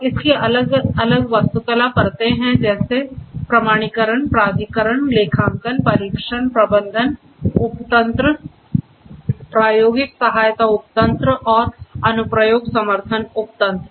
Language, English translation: Hindi, And it has different architectural layers such as; authentication, authorization, accounting, testbed management subsystem, experimental support subsystem, and application support subsystems